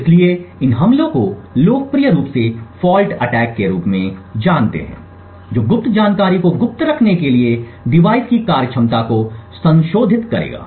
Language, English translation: Hindi, So these attacks popularly known as fault attacks would modify the device functionality in order to glean secrets secret information